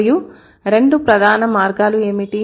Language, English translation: Telugu, And what are the two main ways